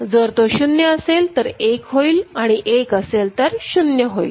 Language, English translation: Marathi, If it is 0, it will go to 1; 1, it is it will go to 0 ok